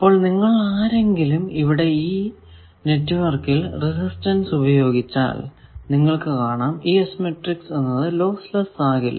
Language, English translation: Malayalam, So, if any you have resistance used in the network you can see that is S matrix cannot be lossless a and b holds